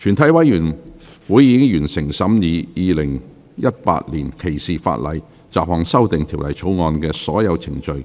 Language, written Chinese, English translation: Cantonese, 全體委員會已完成審議《2018年歧視法例條例草案》的所有程序。, All the proceedings on the Discrimination Legislation Bill 2018 have been concluded in committee of the whole Council